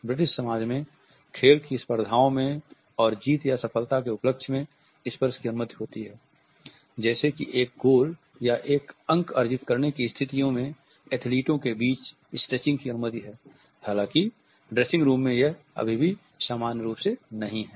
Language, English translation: Hindi, In the British society touch is permissible only at the sporting events and in celebration of victory or success, such as a scoring a goal or a point and in these situations stretching among athletes is permitted